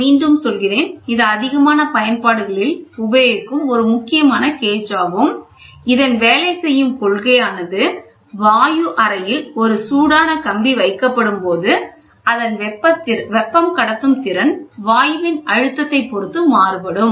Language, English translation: Tamil, I repeat this is one of a very important gauge which has even now find application; where the working principle is when a heated wire is placed in the chamber, heated wire in a chamber the thermal conductivity of the gas depends on the pressure